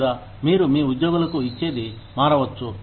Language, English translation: Telugu, Or, what you give to your employees, can vary